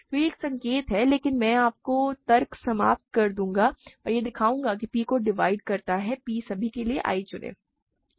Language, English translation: Hindi, So, this is a quick hint, but I will let you finish the argument and show that p divides p choose i for all i